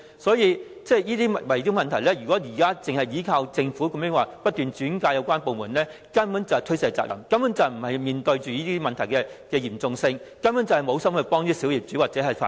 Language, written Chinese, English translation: Cantonese, 所以，就圍標問題而言，如果只靠政府把個案轉介有關部門，根本就是推卸責任，根本沒有面對問題的嚴重性，根本無心幫助小業主或法團。, What does it mean by making referrals? . Insofar as the bid - rigging problem is concerned if the Government merely refers the cases to the relevant departments it is simply shirking its responsibility without addressing the gravity of the problem . It is simply insincere in assisting small property owners or OCs